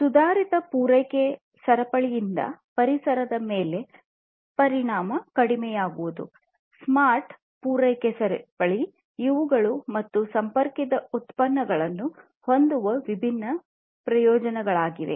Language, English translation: Kannada, Decreased environmental impact is the other one and finally, improved supply chain; smart supply chain, these are the different benefits of having smart and connected products